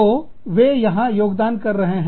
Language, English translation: Hindi, So, they are contributing here